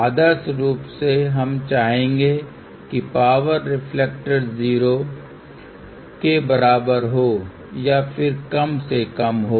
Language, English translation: Hindi, Ideally, we would like power reflector to be equal to 0 or as low as possible